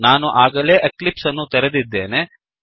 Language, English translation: Kannada, I have already opened Eclipse